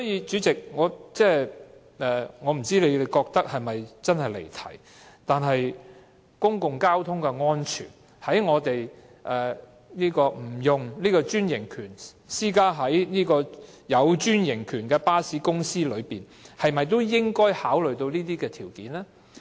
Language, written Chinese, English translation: Cantonese, 主席，我不知道你是否認為這真的是離題，但是，這關乎公共交通的安全，而在我們討論利潤管制計劃不適用於專營巴士公司時，是否也應該考慮這些因素呢？, President I do not know if you consider that this is truly a digression from the question but this concerns the safety of public transport and when we discuss the exclusion of the application of PCS to a franchise bus company should we not also consider these factors?